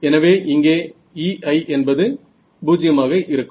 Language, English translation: Tamil, So, E i over here is 0 and E i over here is 0